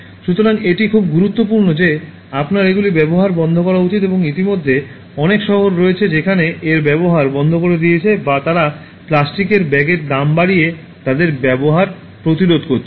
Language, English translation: Bengali, So, it is very important that you should stop using them and there are already cities, they have stopped using or they are preventing the use of them by increasing the price of plastic bags and all that